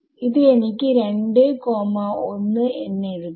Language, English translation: Malayalam, So, that is how I will write this